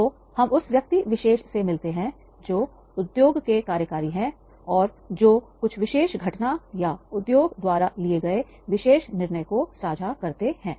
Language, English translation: Hindi, So, we meet that particular person, industry executive who is going to share that particular event or that particular decision by the industry